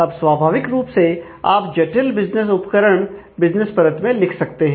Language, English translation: Hindi, Now, naturally business layer you could write complex business tools